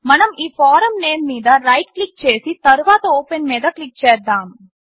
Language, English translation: Telugu, Let us right click on this form name and click on Open